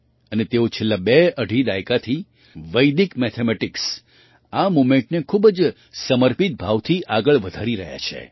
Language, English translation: Gujarati, And for the last twoandahalf decades, he has been taking this movement of Vedic mathematics forward with great dedication